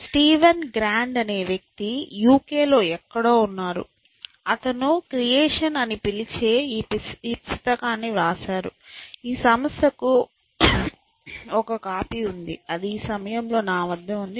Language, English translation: Telugu, There is a person called Steven grand is somewhere in the UK, he wrote this book call creation, which the institute has one copy which is with me at this moment